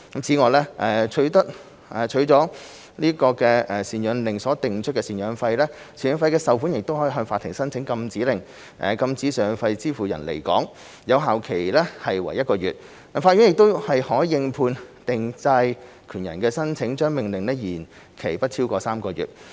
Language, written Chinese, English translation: Cantonese, 此外，為了取得贍養令所訂出的贍養費，贍養費受款人可向法庭申請禁止令，禁止贍養費支付人離港，有效期為1個月，但法院可應判定債權人的申請，將命令續期不超逾3個月。, Besides the maintenance payee can apply to the Court for a Prohibition Order to prohibit the maintenance payer from leaving Hong Kong to assist the collection of maintenance payments as set out in the maintenance order . The Prohibition Order will be valid for one month and on the application of the judgment creditor the Court may extend the order for a period which does not exceed three months